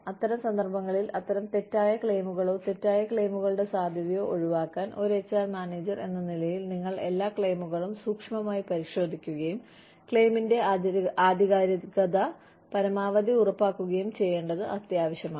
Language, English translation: Malayalam, In such cases, to avoid such false claims, or the possibility of false claims, it is imperative that, as an HR manager, you go through every claim meticulously, and ensure the authenticity of the claim, as much as possible